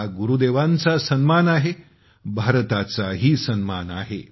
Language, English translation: Marathi, This is an honour for Gurudev; an honour for India